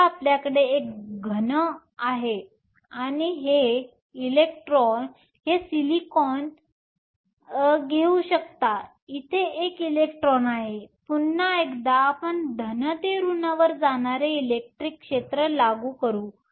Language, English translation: Marathi, Now, you have a solid you can take this to be silicon there is an electron here; once again you apply an electric field going from positive to negative